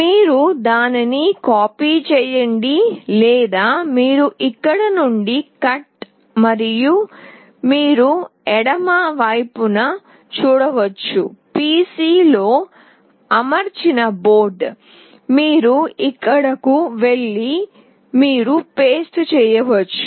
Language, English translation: Telugu, You copy it or you can cut it from here, and you can see in the left side is the board which is mounted on the PC; you go here and you paste it